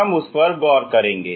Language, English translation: Hindi, We will see what it is